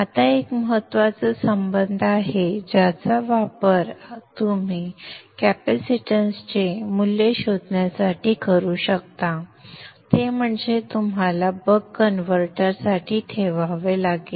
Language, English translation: Marathi, Now this is a important relationship which you can use for finding the value of the capacitance that you need to put for the buck converter